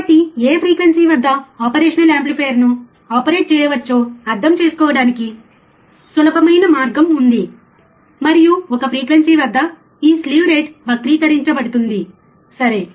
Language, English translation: Telugu, So, there is a 2 way or easier way to understand at what frequency operational amplifier can be operated, and frequency well this slew rate will be distorted, right